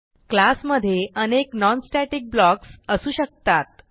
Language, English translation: Marathi, We can have multiple non static blocks in a class